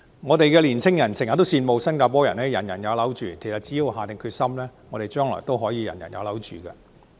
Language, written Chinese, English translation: Cantonese, 我們的青年人經常羨慕新加坡"人人有樓住"，其實只要政府下定決心，我們將來也可以"人人有樓住"。, Our young people often envy Singapores universal home ownership . In fact should the Government demonstrate its determination we can also achieve universal home ownership in the future